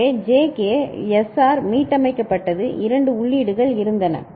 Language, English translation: Tamil, So, JK SR was set reset there were two inputs